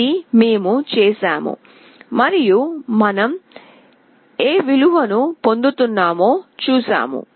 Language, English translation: Telugu, This is what we have done and we have seen that what value we are receiving